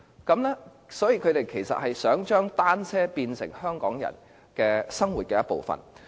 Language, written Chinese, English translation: Cantonese, 他們其實是想將單車變成香港人生活的一部分。, Actually they wish to make cycling part of the life of Hong Kong people